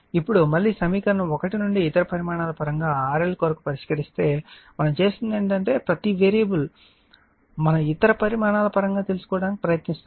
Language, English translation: Telugu, Now, again if you solve from equation one in RL if you solve for RL in terms of other quantities, what we are doing is each con variable we are trying to find out in terms of others right